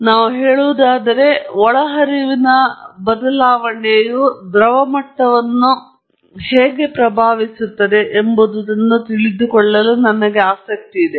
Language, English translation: Kannada, And let us say, I am interested in knowing how a change in inlet flow affects the liquid level